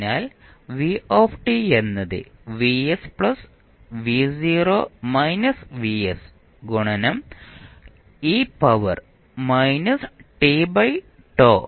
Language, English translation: Malayalam, this will become vs by r plus a e to the power minus t by tau